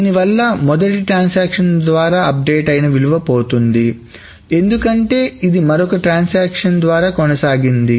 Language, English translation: Telugu, So, essentially the update that is done by the first transaction is lost because it has been superseded by some and other transaction